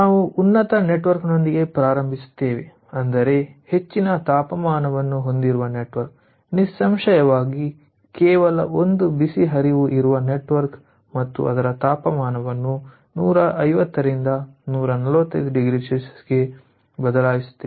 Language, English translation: Kannada, ah, we start with the topmost network, that means the network which is having the highest temperature, obviously the network ah, where there is only one hot stream and it is changing its temperature from one fifty to one forty five degree celsius